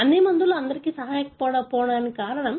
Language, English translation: Telugu, The reason being not all drugs help everybody